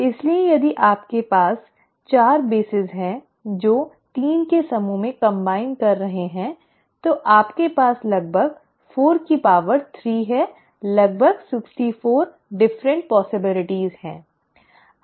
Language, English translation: Hindi, So if you have 4 bases which you are combining in groups of 3, then you have about 4 to power 3, about 64 different possibilities